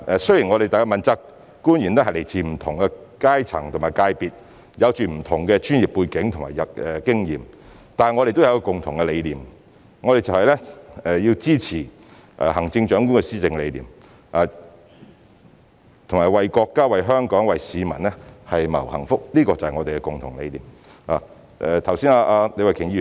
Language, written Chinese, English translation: Cantonese, 雖然問責官員來自不同階層和界別，有着不同的專業背景及經驗，但大家都有共同理念，就是要支持行政長官的施政理念，以及為國家、為香港、為市民謀幸福，這就是我們的共同理念。, Although politically accountable officials come from different strata and sectors and have different professional backgrounds and experience we share the same ideology which is to support the policy vision of the Chief Executive and strive for the well - being of our country Hong Kong and the public . This is the ideology we all share